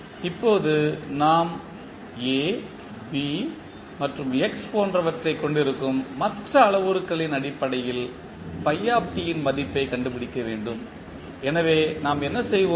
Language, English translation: Tamil, Now, we need to find out the value of phi t in term of the other parameters which we have like we have A, B and x, so what we will do